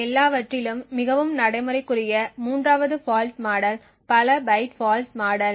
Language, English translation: Tamil, Third fault model which is the most practical of all is the multiple byte fault model